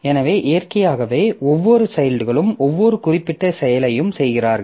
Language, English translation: Tamil, So, naturally each of the children process it is doing some specific job